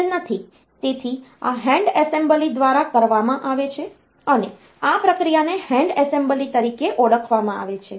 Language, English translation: Gujarati, So, this is done by the hand assembly this process is known as hand assembly